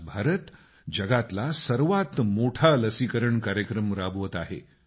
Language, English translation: Marathi, Today, India is undertaking the world's biggest Covid Vaccine Programme